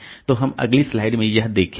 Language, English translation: Hindi, So, we'll see that in the next slide